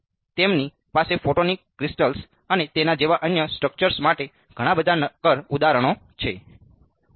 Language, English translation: Gujarati, And, they have lots of other solid examples for photonic crystals and other structures like that and its easiest to run it on a Linux machine